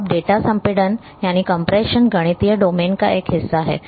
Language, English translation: Hindi, Now data compression is a part of mathematical domain